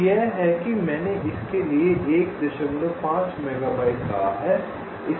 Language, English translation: Hindi, so this is what i have said: one point five megabytes for this